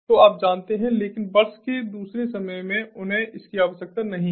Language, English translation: Hindi, but at the other times of the year they do not need this